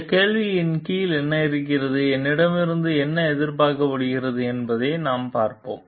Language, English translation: Tamil, Let us see what is under like this question and what are the expected like me